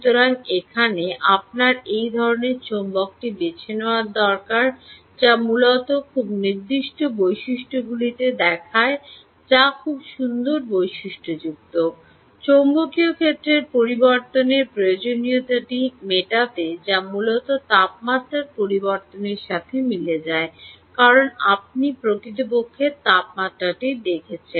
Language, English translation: Bengali, you need to choose that type of ah magnet which essentially looks at very specific ah properties, which are very nice properties, in order to meet this requirement of change in magnetic field: ah, um ah, which will essentially correspond to change in temperature, because you are really looking at bearing temperature